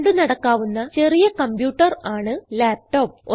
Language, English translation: Malayalam, Laptops are portable and compact computers